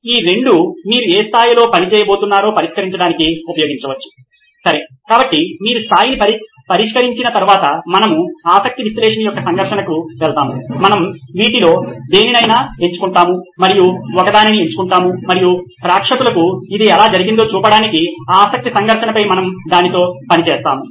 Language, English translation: Telugu, So these two you can use to fix at what level you are going to work, okay so that’s the once you fix the level then we will go onto the conflict of interest analysis, we will pick one in any of these and just pick one and we will work with that on the conflict of interest to show how it’s done to the audience